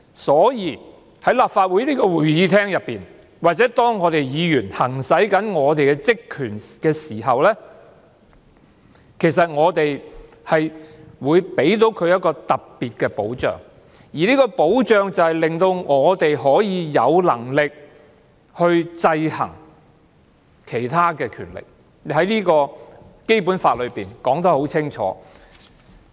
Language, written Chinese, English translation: Cantonese, 所以，在立法會會議廳內或當議員行使職權時，其實他們會受到特別的保障，令議員可以有能力制衡其他權力，這點在《基本法》已清楚訂明。, Thus when Members are in the Chamber of the Legislative Council or when they are performing their duties they will receive special protection so that they are empowered to check the other branches . This is clearly provided in the Basic Law